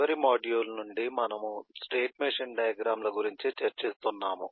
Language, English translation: Telugu, from the last module we have been discussing about state machine diagrams